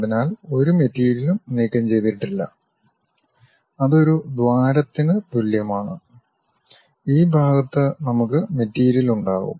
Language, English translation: Malayalam, So, there is no material removed that is just like a bore and this part we will be having material, this part we will be having material